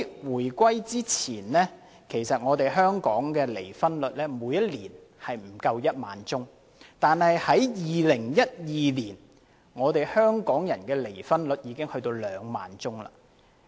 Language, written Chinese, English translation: Cantonese, 回歸之前，香港每年的離婚宗數不足1萬宗，但2012年，香港人的離婚宗數已經達2萬宗。, Before the reunification the number of divorce cases each year in Hong Kong was less than 10 000 but in 2012 the number of divorce cases among Hong Kong people already reached 20 000